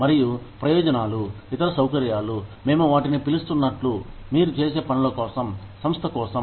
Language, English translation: Telugu, And, benefits are the other conveniences, as we call them, for whatever, you do, for the company